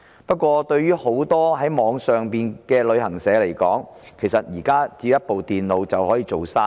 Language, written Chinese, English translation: Cantonese, 不過，對於許多網上旅行社來說，其實現時只要一部電腦便可以做生意。, Nevertheless for many online travel agents they simply need a computer to do business